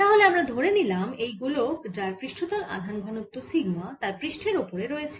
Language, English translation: Bengali, so consider a sphere, it carries a surface charge into sigma over its surface